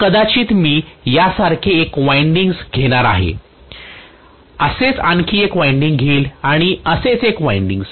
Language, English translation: Marathi, So I am going to have maybe one winding like this, one more winding like this and one more winding like this